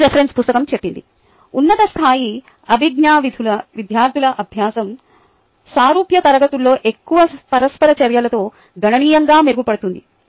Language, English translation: Telugu, student learning of ah higher level cognitive functions would be significantly ah enhanced in similar classes with more interactions, is what they say